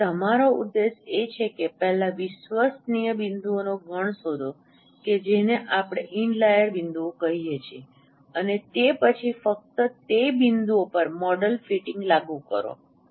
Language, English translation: Gujarati, So your objective is to first find out a set of reliable points which we call in layer points and then apply model fitting on those points only